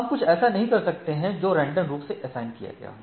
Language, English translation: Hindi, So, we cannot do something which is randomly assigned right